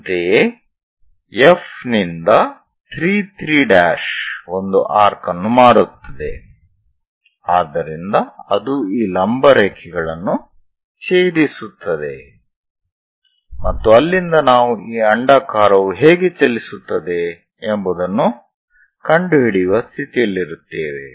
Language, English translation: Kannada, Similarly, 3 3 prime from F make an arc, so that is going to intersect these perpendicular lines and from there we will be in a position to find out how this ellipse is going to move